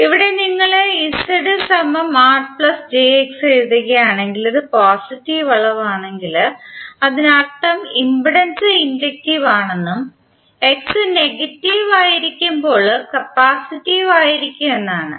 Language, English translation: Malayalam, So here if you are writing Z is equal to R plus j X if this is the positive quantity, it means that the impedance is inductive while it would be capacitive when X is negative